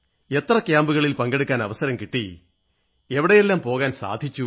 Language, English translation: Malayalam, How many camps you have had a chance to attend